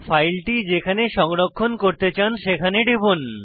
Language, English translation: Bengali, Open the folder in which you want the file to be saved